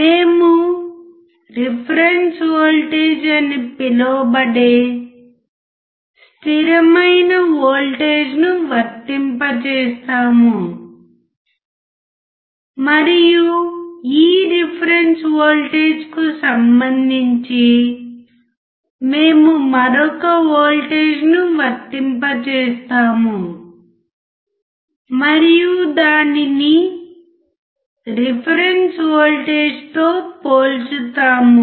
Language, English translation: Telugu, We apply a constant voltage which is called a reference voltage; and with respect to this reference voltage, we apply another voltage and compare it to the reference voltage